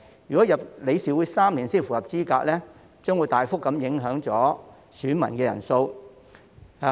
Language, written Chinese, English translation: Cantonese, 如果加入理事會3年才符合資格，將會大幅影響選民人數。, If an elector will only be eligible after having joined the board for three years the number of electors will be substantially affected